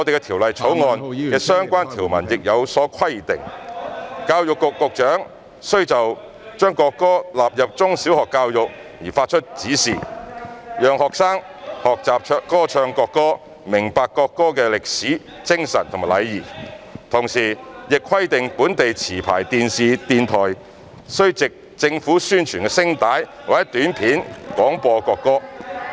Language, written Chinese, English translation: Cantonese, 《條例草案》的相關條文亦有所規定，教育局局長須就將國歌納入中小學教育發出指示，讓學生學習歌唱國歌、明白國歌的歷史、精神和意義，同時亦規定本地持牌電視及電台須藉政府宣傳聲帶或短片廣播國歌。, the relevant provisions of the Bill also require the Secretary for Education to give directions for the inclusion of the national anthem in primary and secondary education thereby enabling the students to learn to sing the national anthem as well as to understand the history spirit and meaning of the national anthem . Meanwhile domestic television programme service licensees and sound broadcasting service licensees are also required to broadcast the national anthem as API or material in the public interest